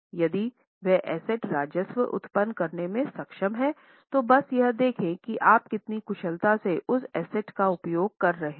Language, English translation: Hindi, If that asset is able to generate the revenue, just see how efficiently you are using the asset